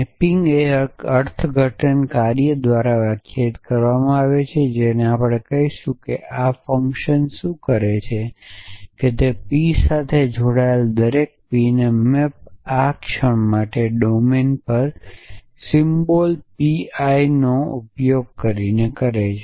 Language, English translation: Gujarati, The mapping is defined by an interpretation function we will call is I and what this function does is that it maps every P belonging to P to use for this moment a symbol p I on the domine